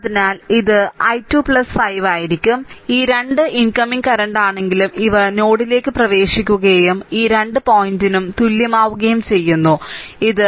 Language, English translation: Malayalam, So, it will be i 2 plus 5, though this 2 are incoming current, these are ah entering into the node and is equal to your this 2 point this is a 2